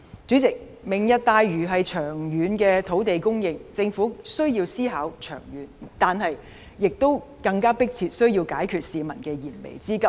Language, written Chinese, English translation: Cantonese, 主席，"明日大嶼"是長遠的土地供應，政府需要思考長遠，但更需要迫切解決市民的燃眉之急。, President Lantau Tomorrow is about long - term land supply so the Government has to make long - term considerations . Nonetheless the Government needs to urgently resolve pressing issues of the people as well